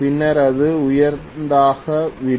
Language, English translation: Tamil, Then it will become higher